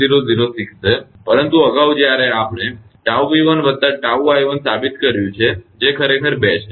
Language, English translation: Gujarati, 8006, but earlier we have proved the tau V 1 plus tau i 1 it is actually 2